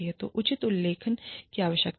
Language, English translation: Hindi, So, proper documentation is required